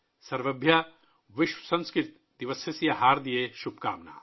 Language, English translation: Urdu, Sarvebhyah Vishwa Sanskrit Disasasya Haardayaha Shubhkamanah